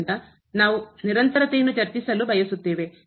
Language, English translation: Kannada, So, we want to discuss the continuity